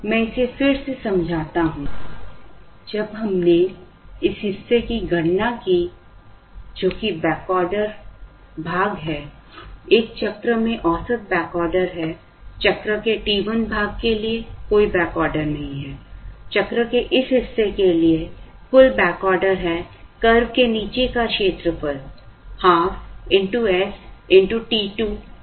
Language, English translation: Hindi, Let me explain it again, when we calculated this portion, which is the backorder cost portion, average backorder in a cycle is, for t 1 part of the cycle, there is no backorder, for this part of the cycle, the total backorder is area under the curve half into s into t 2